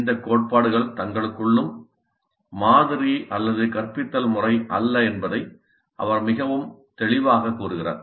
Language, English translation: Tamil, And he is very clear that these principles are not in and of themselves a model or a method of instruction